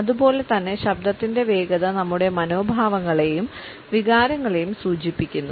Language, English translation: Malayalam, In the same way the speed of voice suggests our attitudes and our feelings